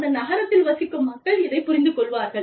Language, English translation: Tamil, People, living in that city, understand this